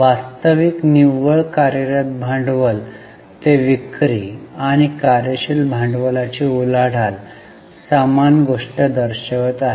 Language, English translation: Marathi, Actually, net working capital two sales and working capital turnover ratio is showing the same thing